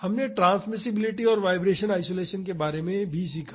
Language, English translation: Hindi, We also learned about transmissibility and vibration isolation